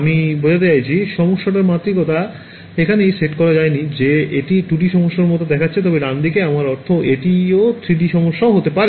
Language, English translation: Bengali, I mean the dimensionality of the problem has not yet been set right now this looks like a 2D problem, but at right I mean it could be a 3D problem